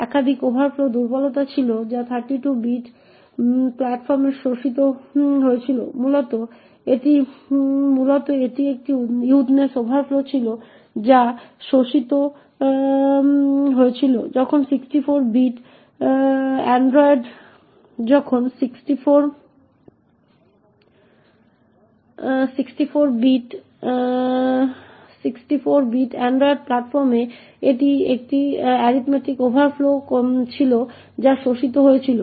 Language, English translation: Bengali, There were multiple overflow vulnerabilities that were exploited on 32 bit platforms essentially it was a widthness overflow that was exploited while on 64 bit android platforms it was an arithmetic overflow that was exploited